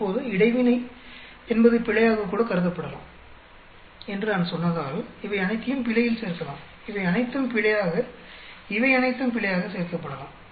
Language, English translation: Tamil, Now because the interaction once I said that interaction can even be considered as error, we can add all these into the error, all these into the error, all these into the error